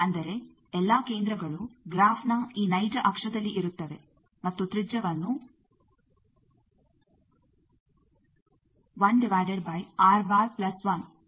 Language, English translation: Kannada, That means, all the centers they are on this real axis of the graph and the radius is given by this